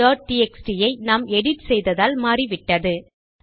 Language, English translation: Tamil, count.txt has been changed because we have edited it